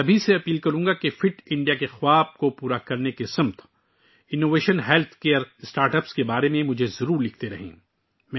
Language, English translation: Urdu, I would urge all of you to keep writing to me about innovative health care startups towards realizing the dream of Fit India